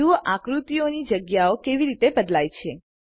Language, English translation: Gujarati, See how the placements of the figures change